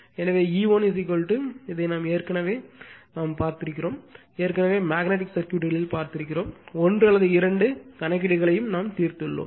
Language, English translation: Tamil, So, you know E 1 is equal to this much, right this one already we have seen, already we have seen in magnetic circuit also we have solve one or two numerical